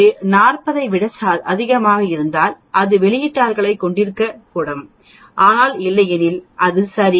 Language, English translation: Tamil, If it is greater than 40 then it should not have outliers, but otherwise it is ok